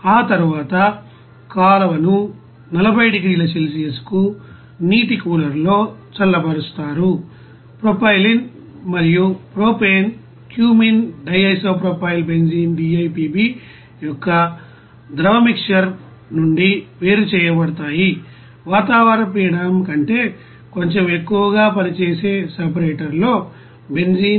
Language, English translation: Telugu, After that the effluent is cooled to 40 degrees Celsius in a water cooler, propylene and propane are separated from the liquid mixer of the cumene DIPB, benzene in a separator that is operated slightly above atmospheric pressure